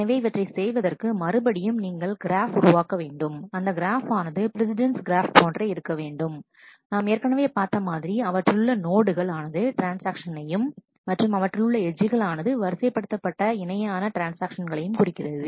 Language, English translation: Tamil, So, for doing this, we again create a graph, which is wait for graph which is very similar to the precedence graph we saw earlier which the nodes are the transactions and the edges are ordered pair of transactions